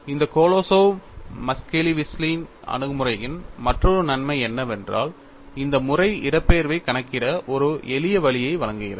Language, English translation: Tamil, And another advantage of this Kolosov Muskhelishvili approach is, this method provides a simpler way to calculate the displacement